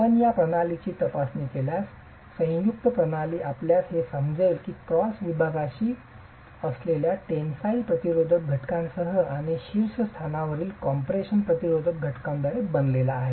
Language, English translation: Marathi, If you examine the system, the composite system, you will appreciate that the cross section is made up of the tensile resisting element at the bottom and the compression resisting element at the top